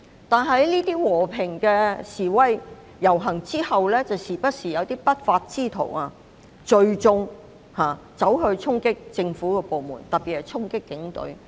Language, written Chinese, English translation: Cantonese, 但在這些和平示威遊行過後卻不時有不法之徒聚眾衝擊政府部門，特別是警隊。, Yet these peaceful marches were often followed by gangs of unlawful elements gathering for the storming of government departments particularly the Police Force